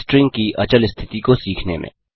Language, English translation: Hindi, Learn immutability of strings